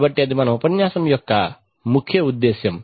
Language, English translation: Telugu, So that is the purpose of our lecture